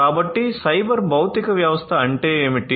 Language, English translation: Telugu, So, what is cyber physical system